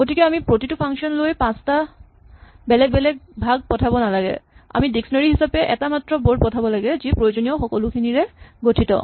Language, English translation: Assamese, So, we do not have to pass around 5 different parts to each function we just have to pass a single board which is a dictionary which contains everything of interest